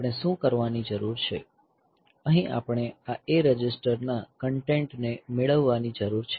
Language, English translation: Gujarati, So, what we need to do is, here we need to get the content of this A register